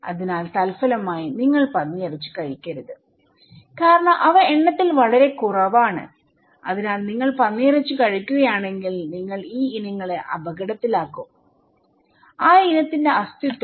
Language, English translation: Malayalam, So, as a result, you should not eat pork because they are very less in number so, if you were eating pork, you will endanger these species; the existence of that species